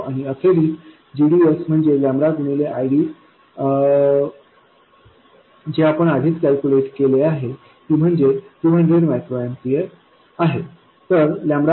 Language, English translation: Marathi, And finally, GDS itself would be lambda times ID that we originally calculated which is 200 microamperes